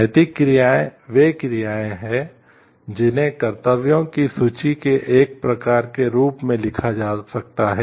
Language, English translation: Hindi, Ethical actions are those actions that could be written down on as a sort of list of duties